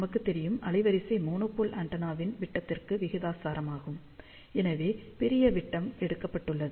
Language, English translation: Tamil, So, we know that bandwidth is proportional to the diameter of the monopole antenna, hence larger diameter is taken